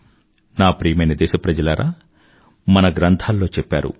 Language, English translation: Telugu, My dear countrymen, it has been told in our epics